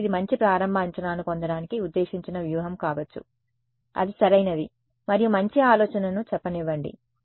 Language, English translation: Telugu, So, that can be a that is a strategy meant to get a good initial guess, that is correct and let us say a good idea